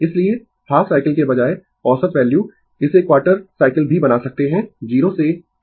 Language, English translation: Hindi, So, instead of half cycle average value you can make it quarter cycle also 0 to T by 4